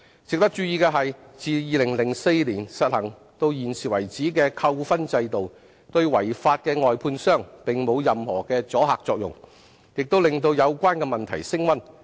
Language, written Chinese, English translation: Cantonese, 值得注意的是，自2004年實行至今的扣分制度，對違法的外判商並沒有任何阻嚇作用，亦令有關問題升溫。, It should be noted that the demerit point system in place since 2004 has no deterrent effect on those outsourced contractors which have breached the law while intensifying the associated problems